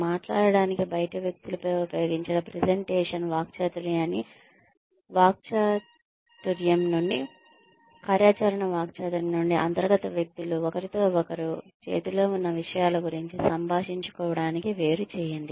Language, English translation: Telugu, Separate the presentational rhetoric used on outsiders to speak of, what goes on in the setting from the organizational rhetoric, from the operational rhetoric, used by insiders to communicate with one another, as to the matters at hand